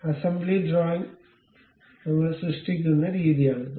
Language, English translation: Malayalam, This is the way we create that assembly drawing